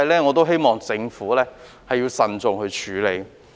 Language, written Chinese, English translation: Cantonese, 我希望政府亦要慎重處理。, I hope that the Government will handle this prudently